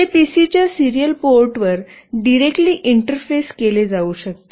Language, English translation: Marathi, And it can be directly interfaced to the serial port of the PC